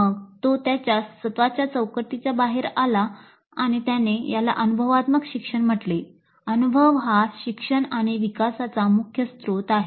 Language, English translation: Marathi, Then came out with his own framework which he called as experiential learning, experience as the source of learning and development